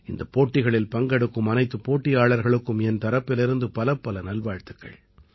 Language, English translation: Tamil, Many many congratulations to all the participants in these competitions from my side